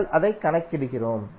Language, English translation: Tamil, We just calculate it